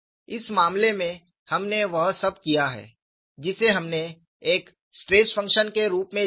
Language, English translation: Hindi, For all of them, you would have a form of stress function